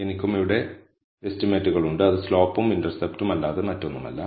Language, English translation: Malayalam, I also have the estimates here which are nothing but the intercept and slope